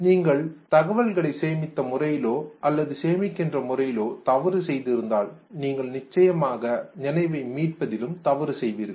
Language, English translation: Tamil, If you commit error in terms of storing information or you have stored the information but then you commit an error in terms of retrieving it